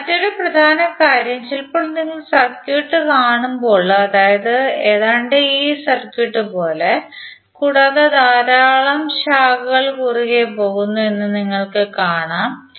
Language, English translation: Malayalam, Now, another important thing is that sometimes when you see the circuit it looks like this circuit right and you will see that lot of branches are cutting across